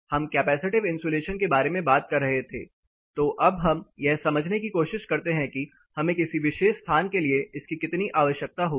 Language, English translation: Hindi, We have been talking about capacity insulation, so let us also try to understand how much we will require for a particular location